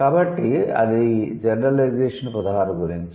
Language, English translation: Telugu, So, that is about the gen 16